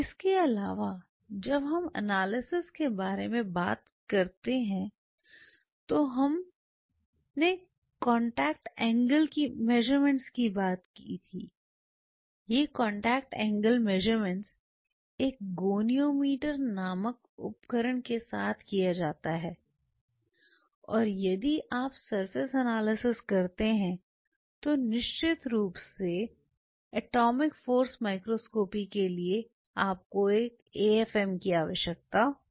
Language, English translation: Hindi, Apart from it when we talked about in the analysis we talked about contact angle measurements, this contact angle measurements could be done with the instrument called goniometer and of course, atomic force microscopy you need an afm set up if you do the surface analysis